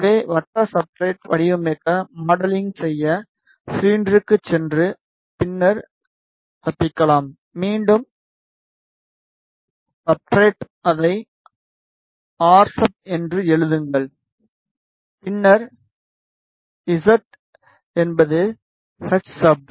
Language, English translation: Tamil, So, to design circular substrate go to in modelling go to cylinder and then escape maybe name it as again substrate write it as r sub then z is hsub ok